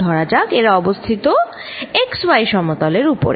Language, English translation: Bengali, Let us say this is in the x y plane, x y